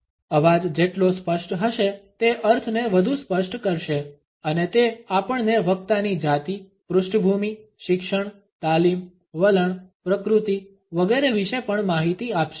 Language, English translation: Gujarati, The clearer the voice the more effectively it will convey the meaning and it also informs us of the speaker’s gender, background, education, training, attitude, temperament etcetera